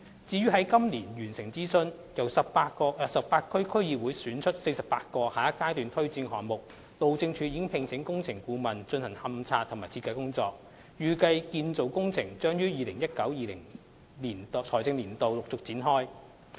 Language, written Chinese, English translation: Cantonese, 至於在今年9月完成諮詢，由18區區議會選出的48個下一階段推展項目，路政署已聘請工程顧問進行勘測及設計工作，預計建造工程將於 2019-2020 財政年度陸續展開。, As for the 48 items selected by the 18 DCs in the consultation exercise completed in September this year for implementation in the Next Phase the Highways Department has engaged consultants to carry out the investigation and design work; the construction works are anticipated to commence progressively starting from the financial year 2019 - 2020